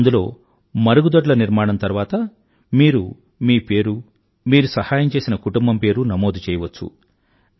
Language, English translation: Telugu, in where after constructing a toilet you can register your name and the name of the beneficiary family, who you helped